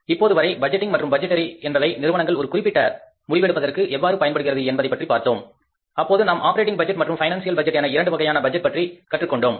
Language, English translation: Tamil, And till now we have discussed that how the budgeting and the budgetary exercise helps the firms to arrive at certain decisions where we learned about that we can prepare the operating budget and we can prepare the financial budgets